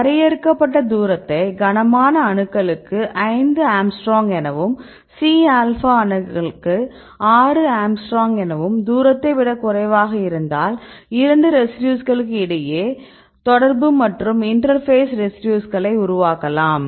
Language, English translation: Tamil, Then you keep the distance cutoff say 5 angstrom any heavy atoms or 6 angstrom any C alpha atoms right and if this is less than the distance, then we see that 2 residues are in contact and the 2 residues may be form the interface residues right